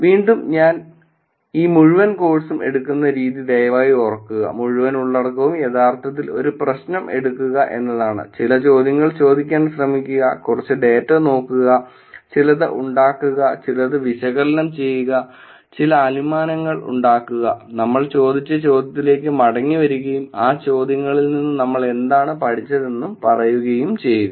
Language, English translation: Malayalam, Again please keep in mind the way that I am driving this whole course, whole content is to actually take a problem try to ask some questions, look at some data, make some, do some analysis, make some inferences, and come back to the question that we have asked and say what did we learn from those questions